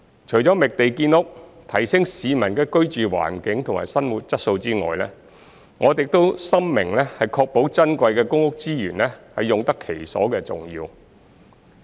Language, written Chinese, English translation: Cantonese, 除了覓地建屋，提升市民的居住環境和生活質素外，我們亦深明確保珍貴的公屋資源用得其所的重要。, Apart from identifying sites for housing development to enhance the living environment and quality of life of the public we are fully aware of the importance of ensuring proper use of the precious PRH resources